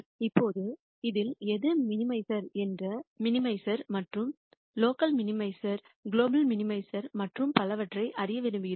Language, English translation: Tamil, Now, we want to know which one of this is a minimizer and which one is a local minimizer global minimizer and so on